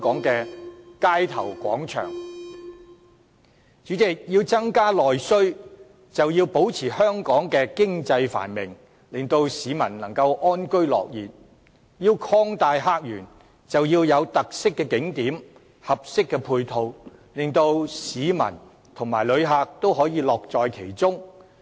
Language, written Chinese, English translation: Cantonese, 主席，要增加內需，便要保持香港經濟繁榮，令市民能夠安居樂業；要擴大客源，便要有有特色的景點，合適的配套，令市民和旅客也可以樂在其中。, President the stimulation of internal demand hinges on the continuous prosperity of the Hong Kong economy and contentment of its people in work and living environment while the opening up of new visitor sources depends on the existence of distinctive tourist attractions with proper supporting facilities in which both locals and tourist can take pleasure